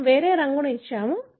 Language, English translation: Telugu, We have given a different colour